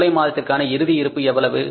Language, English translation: Tamil, Closing balance for the month of July is how much